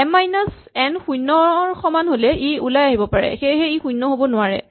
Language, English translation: Assamese, If m minus n is 0 then it could have exited, so it cannot be 0